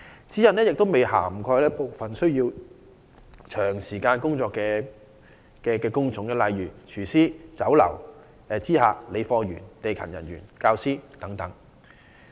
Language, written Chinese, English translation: Cantonese, 此外，有關指引亦未有涵蓋部分需要長時間站立的工種，例如廚師、酒樓知客、理貨員、地勤人員和教師等。, Besides the relevant guidelines do not cover those job types which require prolonged standing such as chefs receptionists in Chinese restaurants stock keepers ground support staff and teachers